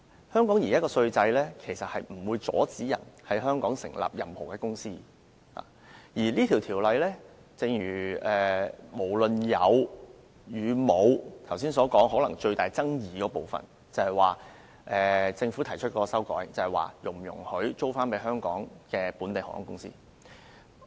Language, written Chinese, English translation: Cantonese, 香港現行稅制不會阻止任何人在香港成立任何公司，而這項《條例草案》，不論有沒有，可能是剛才所說的最大爭議部分，就是政府提出了修改，關乎是否容許出租飛機予香港本地航空公司。, The existing tax system in Hong Kong does not prohibit anyone from setting up any companies in Hong Kong . As far as the Bill is concerned without regard to whether such prohibition is in place the biggest controversy surrounding our discussion is the Governments latest amendments to propose expanding the scope of aircraft leasing to include activities concerning local airlines in Hong Kong . Let us put this aside by now